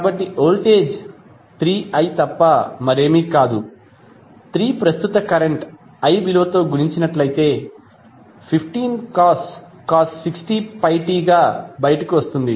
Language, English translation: Telugu, So, voltage is nothing but 3i that is 3 multiplied by the value of current i that come out to be 15cos60 pi t